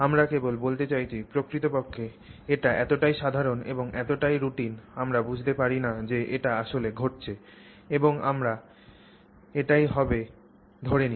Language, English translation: Bengali, And we just, in fact, it is so commonplace and so routine that we don't realize that it is actually happening and we just take it for granted